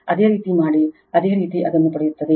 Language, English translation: Kannada, If you do so, same way you will get it